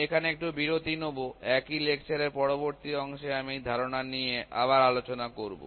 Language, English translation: Bengali, I will just take a break here; in the next part of the same lecture I will discuss this concept further